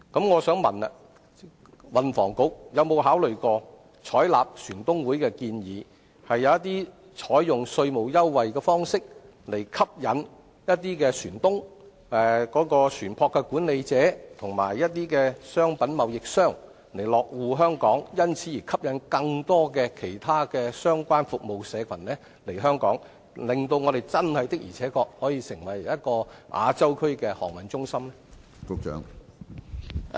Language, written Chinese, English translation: Cantonese, 我想問，運輸及房屋局有否考慮採納香港船東會的建議，透過稅務優惠，吸引一些船東、船舶管理者及商品貿易商落戶香港，從而吸引更多其他相關服務社群來香港，令本港可以確實成為亞洲區的航運中心？, May I ask whether the Transport and Housing Bureau will consider adopting Hong Kong Shipowners Associations proposal for providing tax concession to attract ship - owners ship management operators and merchandize trading companies to station in Hong Kong thereby attracting other related service groups to Hong Kong and facilitating Hong Kongs development into a true maritime hub of Asia?